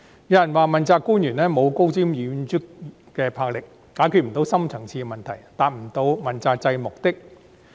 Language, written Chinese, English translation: Cantonese, 有人說道，問責官員沒有高瞻遠矚的魄力，不能解決深層次矛盾，不能達到問責制的目的。, Some argue that accountability officials lack the enterprise in making visionary planning while also failing to resolve our deep - seated conflicts and achieve the objective of the accountability system